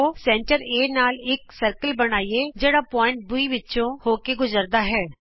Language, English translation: Punjabi, Lets construct a circle with center A and which passes through point B